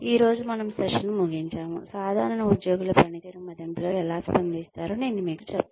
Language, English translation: Telugu, Today, we will end the session, with maybe, I will tell you about, how typical employees respond to performance appraisals